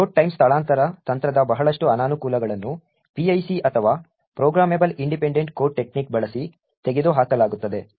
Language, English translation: Kannada, A lot of the disadvantages of the Load time relocatable technique are removed by using PIC or Programmable Independent Code technique